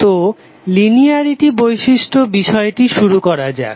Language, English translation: Bengali, So let us start the topic on linearity property